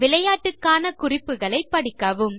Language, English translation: Tamil, Read the instructions to play the game